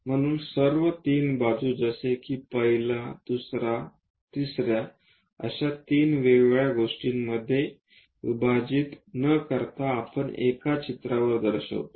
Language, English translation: Marathi, So, all the 3 sides like first one, second one, third one, without splitting into 3 different things we show it on one picture